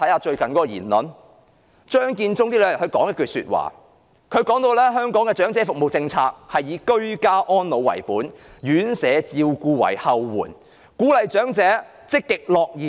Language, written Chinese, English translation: Cantonese, 張建宗近日說了一番話，提出香港的長者服務政策，是以居家安老為本、院舍照顧為後援，並鼓勵長者積極樂頤年。, Some days ago Matthew CHEUNG said that the policy on elderly services in Hong Kong considers ageing in place as the core and institutional care as back - up and encourages active ageing